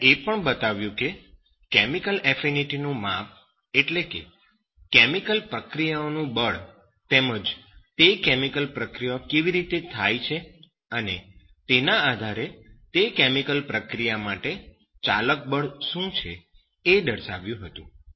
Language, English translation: Gujarati, And he also showed that the measure of chemical affinity that is ‘force’ of chemical reactions, how that chemical reaction is happened, and based on what is the driving force for that chemical reaction